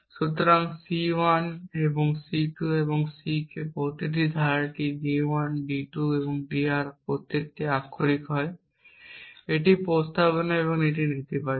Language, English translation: Bengali, So, C 1 and C 2 and C k each clause is a disjunction of literals d 1 d 2 or d R each literal is either a proposition or it is negation